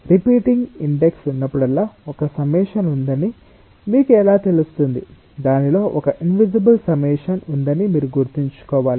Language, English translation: Telugu, whenever there is a repeating index, you have to keep in mind that there is an invisible summation in it